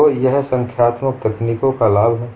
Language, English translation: Hindi, So that is the advantage of your numerical techniques